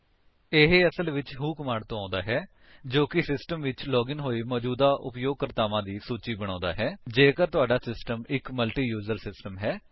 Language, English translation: Punjabi, This in fact comes from the who command that enlists all the users currently logged into the system in case your system is a multiuser system